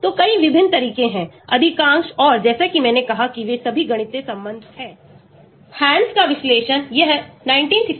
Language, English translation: Hindi, So, many different approaches are there, most and as I said they are all mathematical relationship because the quantitative structure activity relationship, so they are all mathematical relationship